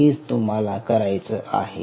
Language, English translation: Marathi, thats all you needed to do